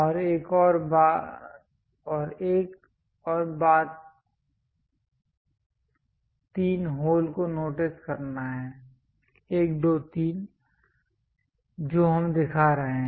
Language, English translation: Hindi, And one more thing one has to notice three holes; 1, 2, 3, holes we are showing